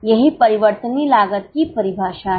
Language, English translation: Hindi, That is a definition of variable cost